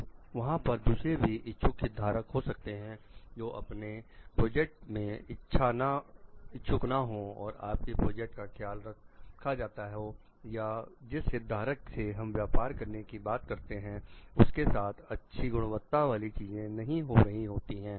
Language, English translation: Hindi, Then there could be other interested stakeholders which may be your project is not interest your project is not taking care of or it is or the it talks of like that stakeholder we want to do a business by what it is not giving a good quality things